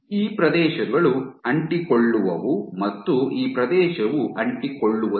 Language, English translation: Kannada, These areas are adhesive and this is Adhesive and this area is Non Adhesive